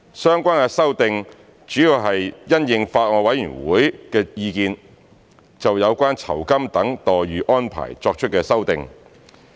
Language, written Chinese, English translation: Cantonese, 相關的修訂主要是因應法案委員會的意見，就有關酬金等待遇安排作出的修訂。, The relevant amendments are proposed in response to the views of the Bills Committee to amend the arrangements for relevant entitlements such as remuneration